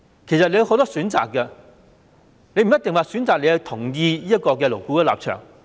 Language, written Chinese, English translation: Cantonese, 政府有很多選擇，不一定要選擇同意勞顧會的立場。, The Government has many choices and may not necessarily choose to endorse the position of LAB